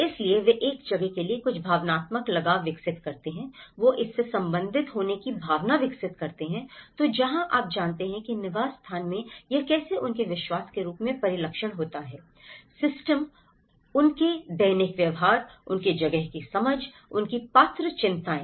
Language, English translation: Hindi, So, they develop certain emotional attachment to a place, they develop a sense of belonging to it so where, you know, the habit in the habitat how it is reflected in the form of their belief systems, how their daily behaviours, their understanding of the place, their eligible concerns